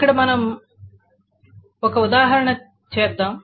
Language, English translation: Telugu, So here is an example that we will do